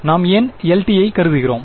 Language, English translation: Tamil, Why are we assuming its a LTI we are